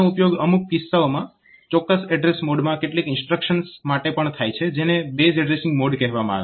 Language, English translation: Gujarati, So, this is also used for some cases some instructions in the in a particular address mode which is called base addressing mode